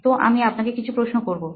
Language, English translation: Bengali, So few questions to you